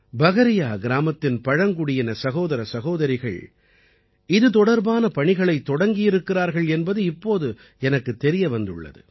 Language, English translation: Tamil, Now I have come to know that the tribal brothers and sisters of Pakaria village have already started working on this